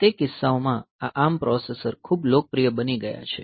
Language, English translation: Gujarati, So, those cases, these ARM processors have become very popular